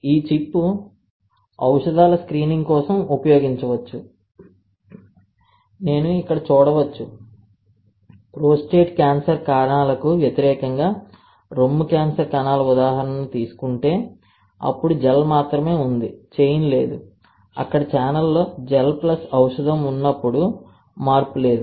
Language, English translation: Telugu, And this chip can be used for screening of drugs you can see here that if I take an example of breast cancer cells versus the prostate cancer cells, then only gel there is no chain, gel plus when you have gel plus drug on the channel there is no change